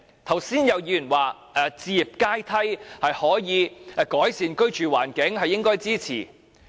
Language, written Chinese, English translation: Cantonese, 剛才有議員說，置業階梯可以改善居住環境，應該予以支持。, Just now some Member said that we should support the building of a housing ladder as it can improve peoples living environment